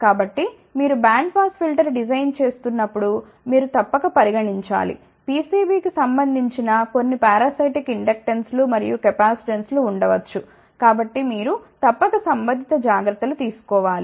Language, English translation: Telugu, So, when you are designing band pass filter you must consider, that there may be some parasitic inductances and capacitances associated with the PCB so, you must take corresponding precaution